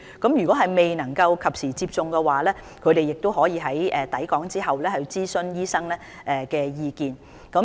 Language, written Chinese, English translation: Cantonese, 如果外傭未能及時接種疫苗，他們可在抵港後諮詢醫生的意見。, For FDHs who fail to receive vaccination in time they may consult a doctor after arriving in Hong Kong